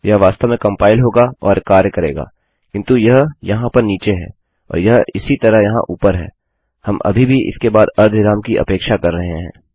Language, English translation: Hindi, That would actually compile and work but because this is down here and this is the same as up here we are still expecting a semicolon after that